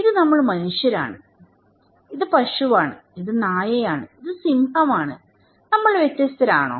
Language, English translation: Malayalam, Well, this is we human being, right and this is a cow, this is dog, this is lion, are we different